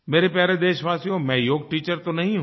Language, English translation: Hindi, My dear countrymen, I am not a Yoga teacher